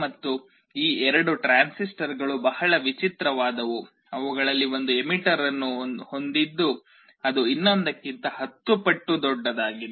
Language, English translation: Kannada, And these two transistors are very peculiar, one of them has an emitter which is 10 times larger than the other